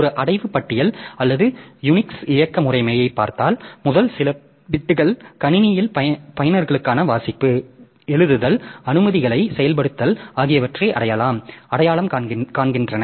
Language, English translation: Tamil, If you look into a directory listing or a unique operating system so they may look like this so first few bits so they are actually identifying the read write execute permissions for the people or users of the system